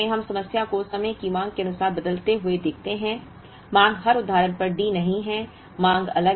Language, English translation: Hindi, Now, the moment we look at problem with time varying demand this way, the demand is not D at every instance